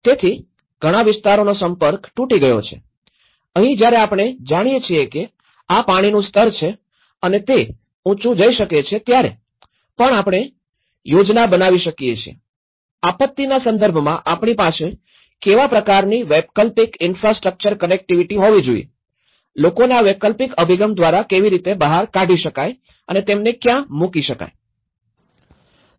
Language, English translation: Gujarati, So, in that way, the access has been cutted out in many areas and this is where, once we know that these are inundation levels here, this might go up to this level, so we can even plan that whether we should, what kind of alternate infrastructure connectivity we should have in terms of disaster, how we can evacuate this people through an alternative approach you know, and where can we put them